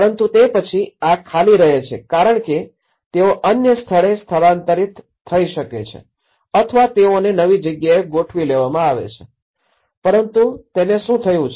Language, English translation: Gujarati, But then these are left isolated because they might have moved to other place or they might have been adjusted to in a new place but what happened to these